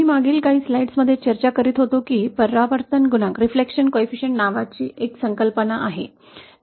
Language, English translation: Marathi, As I was discussing in the previous few slides that there is a concept called reflection coefficient